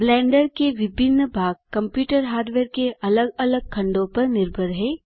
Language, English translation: Hindi, Different parts of Blender are dependent on different pieces of computer hardware